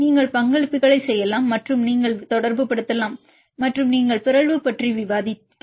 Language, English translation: Tamil, So, you can do the contributions and you can relate and here we discussed about the mutation